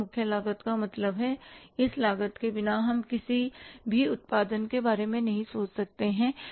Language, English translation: Hindi, Prime cost means without this cost we cannot think of any production